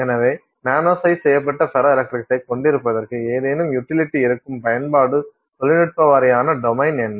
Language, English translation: Tamil, So, what is that sort of you know domain of application technology wise and so on where there is some utility to having nanosized ferroelectrics